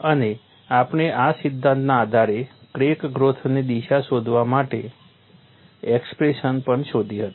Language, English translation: Gujarati, And we had also developed the expression for finding out the crack growth direction based on this theory